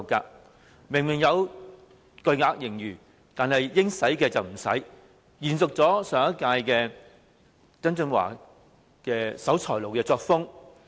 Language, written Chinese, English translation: Cantonese, 政府明明有巨額盈餘，但應用的卻不用，延續上任司長曾俊華的"守財奴"作風。, The Government possesses huge surpluses but rather than making the spending it should make it simply inherits the miserly approach of former Financial Secretary John TSANG